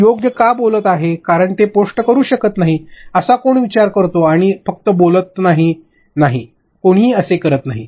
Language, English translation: Marathi, They cannot post why because they are speaking right, who does thanks like this and just talks, no, no, nobody does that